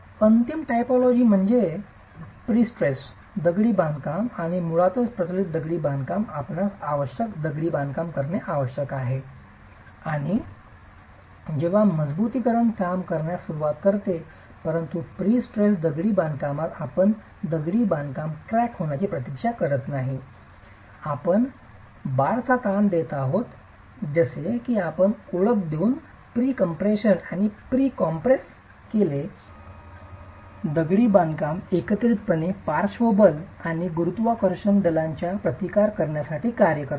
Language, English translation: Marathi, The final typology is pre stressed masonry and basically in reinforced masonry you require that the masonry cracks and that's when the reinforcement starts working but in pre stressed masonry you don't wait for the masonry to crack you are tensioning the bars such that you introduce a pre compression and the pre compressed masonry works to counteract lateral forces and gravity forces together